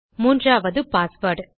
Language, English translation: Tamil, And its called password